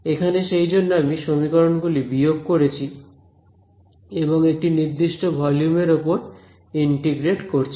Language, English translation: Bengali, Here that is why I am subtracting these equation and then integrating over one particular volume